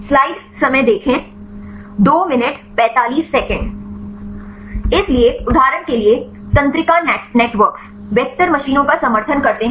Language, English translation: Hindi, So, for example, neural networks, support vector machines